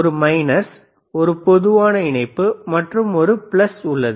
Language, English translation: Tamil, tThere is a minus, a there is a common and there is a plus